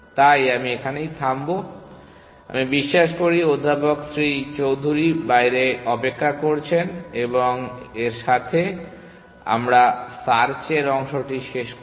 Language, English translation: Bengali, So, I will stop here, I believe professor Shri Chaudary is waiting outside, He should be waiting outside and with this we will end the search part of it